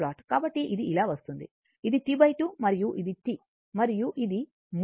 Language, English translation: Telugu, So, it is coming like this, it is your T by 2 and this is T and this is the origin